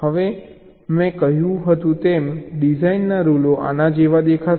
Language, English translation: Gujarati, as i have said, they will look like this